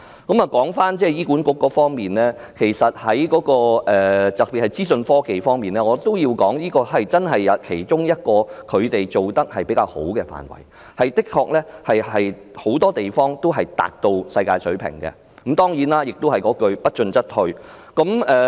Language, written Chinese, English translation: Cantonese, 說回醫管局各範疇的表現，特別是資訊科技範疇，我要指出這是其中一個他們做得比較好的範疇，當中很多方面的確已達至世界水平，但當然，老生常談的一句是："不進則退"。, Now let us come back to HAs performance in different areas especially in the area of information technology IT . I want to point out that it is one of the areas in which HA performs pretty well with many aspects up to world - class standard . But surely as a cliché goes To stand still is to fall behind